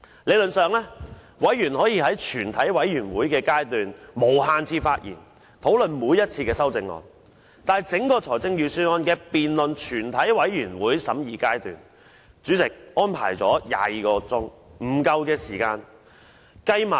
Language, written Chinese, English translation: Cantonese, 理論上，議員可以在全體委員會審議階段無限次發言，討論每一項修正案，但就整項預算案辯論，主席只預留不足22小時以供完成全體委員會審議階段。, Theoretically Members can speak for unlimited times in the Committee stage to discuss each and every amendment proposed but as far as the whole Budget debate is concerned the President has only reserved less than 22 hours for Members to complete the deliberation in the Committee stage